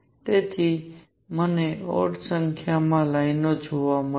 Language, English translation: Gujarati, So, I would see odd number of lines